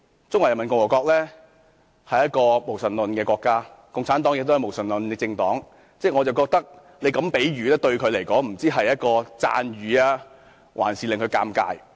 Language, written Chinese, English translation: Cantonese, 中華人民共和國是一個無神論的國家，而共產黨亦是無神論的政黨，我認為她這個比喻也不知道究竟是一個讚譽，還是會使其尷尬。, The Peoples Republic of China is an atheistic country so is the Communist Party of China . I am not sure whether her metaphor is a compliment or an embarrassment to herself